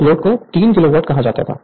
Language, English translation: Hindi, 6 and it is 3 Kilowatt